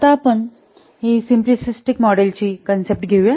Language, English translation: Marathi, Now, let's take this the concept of simplistic model